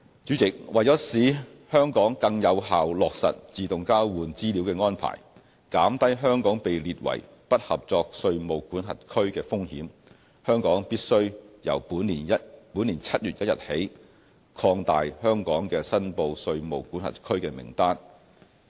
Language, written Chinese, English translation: Cantonese, 主席，為使香港更有效落實自動交換資料的安排，減低香港被列為"不合作稅務管轄區"的風險，香港必須由本年7月1日起擴大香港的"申報稅務管轄區"名單。, President to enable Hong Kong to implement the AEOI arrangement more effectively and lower Hong Kongs risk of being listed as a non - cooperative tax jurisdiction Hong Kong must expand its list of reportable jurisdictions from 1 July onwards